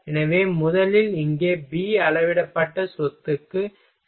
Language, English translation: Tamil, So, first here B is equal to scaled property